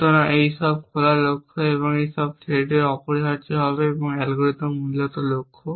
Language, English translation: Bengali, So, this is all the open goal and this for the threat essentially and algorithm essentially goals